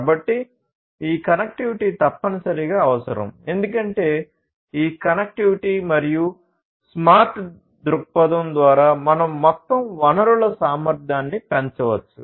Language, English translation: Telugu, So, this connectivity is essentially going to be required because through this connectivity and smart perspective; we are going to increase the overall resource efficiency